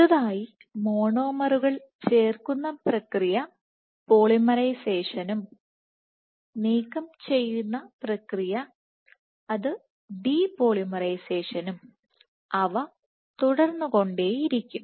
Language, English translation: Malayalam, So, addition process of addition is polymerization or removal which is depolarization will continue